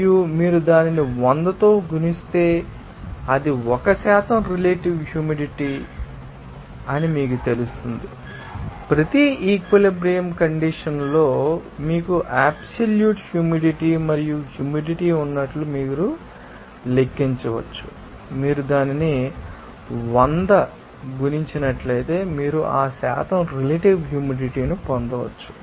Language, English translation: Telugu, And if you multiply it by 100 then it will be you know called as a percent is relative humidity or you can simply calculate it as if you have the absolute humidity and the humidity at each saturation condition and if you multiply it by 100, then you can obtain that percentage relative humidity